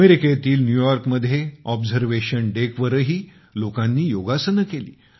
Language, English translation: Marathi, People also did Yoga at the Observation Deck in New York, USA